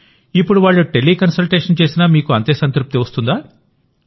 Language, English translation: Telugu, Now if they do Tele Consultation, do you get the same satisfaction